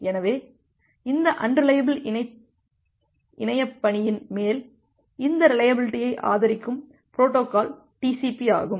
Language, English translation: Tamil, So, TCP is the protocol which supports this reliability on top of this unreliable internetwork